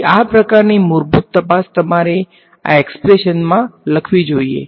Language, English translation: Gujarati, So, this kind of basic check you should do you write down this expression ok